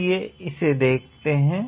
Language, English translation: Hindi, Let us have a look at it